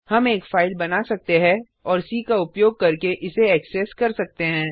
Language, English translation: Hindi, We can create a file and access it using C